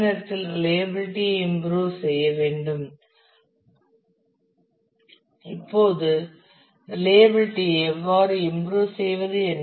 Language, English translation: Tamil, At the same time improve the reliability now how do you improve the reliability